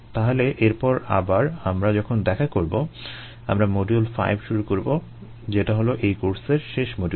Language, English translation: Bengali, so when we meet again in a ah, when we meet next, we will take a module five, which will be the last module for this course